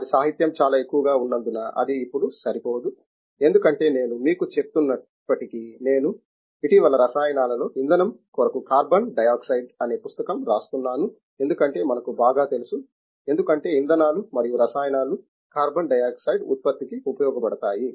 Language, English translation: Telugu, That is not enough now because their literature is so high, because even if I were to tell you, I have been recently writing a book on carbon dioxide to fuels in chemicals because we know very well fuels and chemicals can be used to produce carbon dioxide